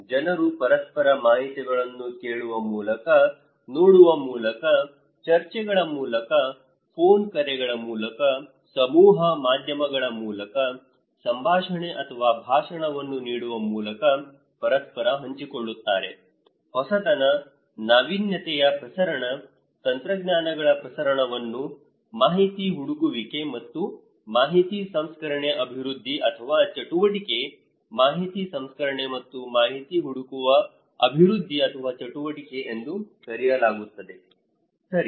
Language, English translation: Kannada, People share informations with each other either through hearing, either through watching, either through discussions, either through phone calls, either through mass media, giving dialogue or speech so, innovation; the diffusion of innovation, dissemination of technologies is therefore is called information seeking and information processing development or activity, information processing and information seeking development or activity, okay